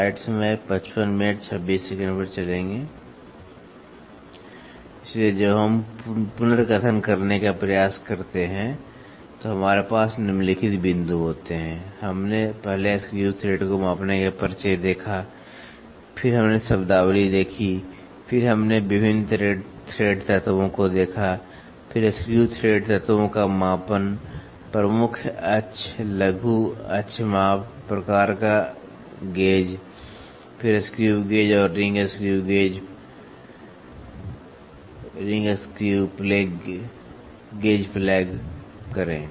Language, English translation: Hindi, So, when we try to recap we have the following points, we first saw the introduction of measuring screw thread, then we saw terminologies, then we saw various thread elements, then measurement of screw thread elements, major axis minor axis measurement, type of gauges, then plug screw gauge and ring screw gauge